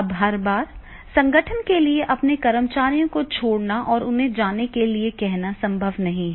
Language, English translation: Hindi, Now every time it is not possible for the organization to spare their employees and ask them to go